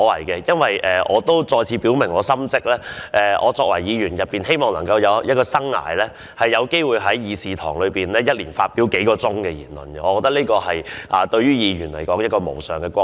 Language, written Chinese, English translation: Cantonese, 我也要再次表明心跡，在我擔任議員的生涯中，每年能有機會在議事堂發表數小時的言論，對我作為議員來說已是無上光榮。, I have to make myself clear once again because it is the greatest honour of my life that throughout the years of my tenure as a Member I have the chance to speak for a few hours every year in this Council